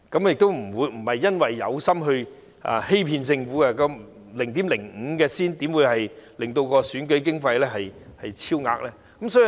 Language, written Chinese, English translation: Cantonese, 我不是刻意欺騙政府，而且 0.5 元又怎會令到選舉經費超額呢？, I did not purposely cheat the Government and how would a difference of 0.50 cause an overrun of election expenses?